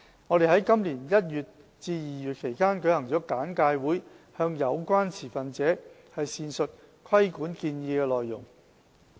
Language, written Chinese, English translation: Cantonese, 我們在今年1月至2月期間舉行了簡介會，向有關持份者闡述規管建議的內容。, We have conducted briefing sessions from January to February this year to expound the regulatory proposals to the stakeholders concerned